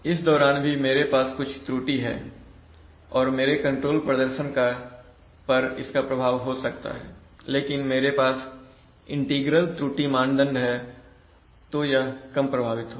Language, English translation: Hindi, Even if during this period I have some error and my control performance is, may be affected depending on whether I have an integral error criterion then it will be less affected